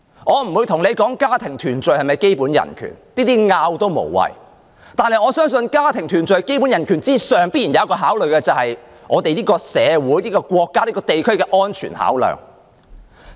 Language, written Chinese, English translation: Cantonese, 我不討論家庭團聚是否一種基本人權，就這類問題無謂爭辯，但我相信在家庭團聚的基本人權之上，必然有一項考慮，便是社會、地區、國家的安全考量。, I am not going to discuss whether family reunion is a kind of basic human right as it is meaningless to argue over this kind of issues . But I believe that above the basic human right of family reunion there must have another consideration and which is communal regional and state security